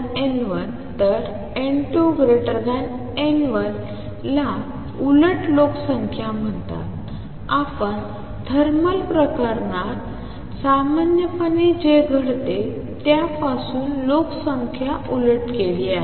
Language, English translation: Marathi, So, n 2 greater than n 1 is called population inversion, you have inverted the population from what normally happens in thermal case